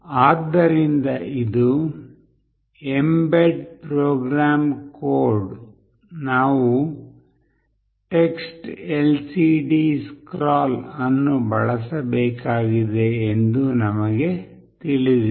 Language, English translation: Kannada, So, this is the mbed program code, we know that we have to use TextLCDScroll